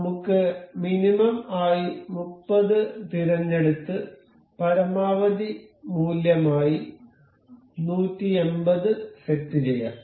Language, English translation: Malayalam, Let us just select 30 to be minimum and say 180 as maximum value